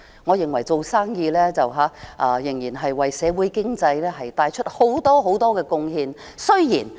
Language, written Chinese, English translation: Cantonese, 我認為做生意的人為社會經濟帶來很多貢獻。, In my opinion businessmen make a substantial contribution to society and economy